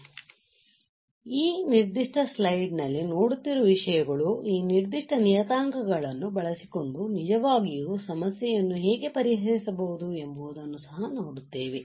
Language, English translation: Kannada, So, the things that we are looking here in this particular slide we will also see some of those how we can actually solve the problems using this particular of for this particular parameters ok